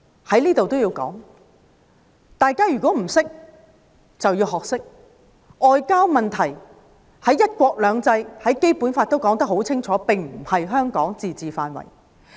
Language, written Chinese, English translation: Cantonese, 在此我也要說，大家如果不懂，便要學懂：外交問題在"一國兩制"和《基本法》下顯然不屬於香港的自治範圍。, Here I must also say one thing―anyone who did not know this fact should learn it now Under one country two systems and the Basic Law foreign affairs are obviously outside the limits of the autonomy of Hong Kong